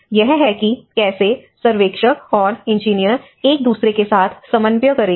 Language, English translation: Hindi, So, this is how the surveyor and the engineers will coordinate with each other